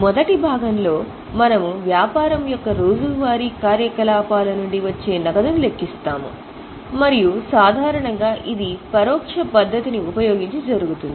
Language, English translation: Telugu, In the first part we calculate the cash generated from day to day activities of the business and normally it is done using indirect method